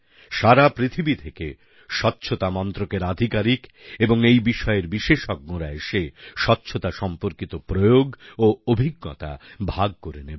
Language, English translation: Bengali, Sanitation Ministers from countries across the world and experts on the subject of sanitation will converge and share their experiments and experiences